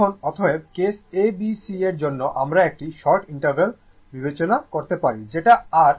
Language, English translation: Bengali, Now, therefore, for case for ah for case a b c we may even consider a shorter interval right, that is your what you call the T by 4